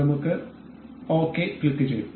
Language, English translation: Malayalam, we will click ok